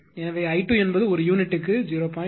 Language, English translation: Tamil, So, i 2 is equal to 0